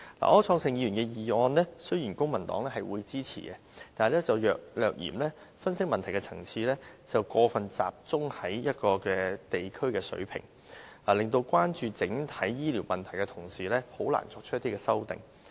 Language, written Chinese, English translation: Cantonese, 對於柯創盛議員提出的議案，雖然公民黨會支持，但略嫌分析問題的層次過分集中於地區的水平，令關注整體醫療問題的同事難以作出修訂。, Although the Civic Party will support the motion proposed by Mr Wilson OR the analysis of the issue is too focused on the district level . As a result Honourable colleagues who are concerned about the overall healthcare problem can hardly introduce amendments